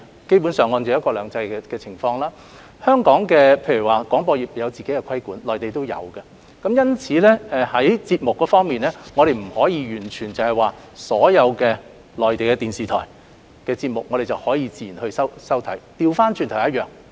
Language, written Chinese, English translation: Cantonese, 基本上在"一國兩制"下，香港的廣播業實施自己的規管，內地亦然，因此，在節目方面，我們未必能夠接收到所有內地電視台的節目，倒過來說亦一樣。, Basically under one country two systems the broadcasting sectors in Hong Kong and the Mainland are subject to regulation by their respective regulators . As a result not all programmes of Mainland TV stations are available for reception in Hong Kong and vice versa